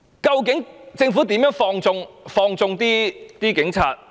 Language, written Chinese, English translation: Cantonese, 究竟政府怎樣放縱警察？, How does the Government connive with the Police?